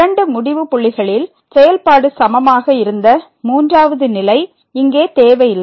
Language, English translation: Tamil, The third condition where the function was equal at the two end points is not required here